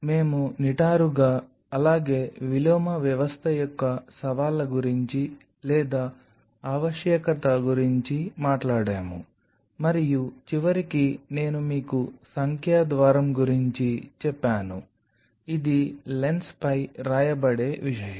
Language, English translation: Telugu, So, we have talked about the challenges of or the need for an upright as well as the inverted system, and there is something in the end I told you about the numerical aperture this is something which will be written on the lens